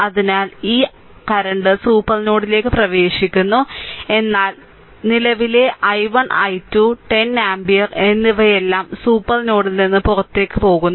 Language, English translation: Malayalam, So, 5 this this current is entering to the supernode, but current i 1 i 2 and 10 ampere all are leaving the supernode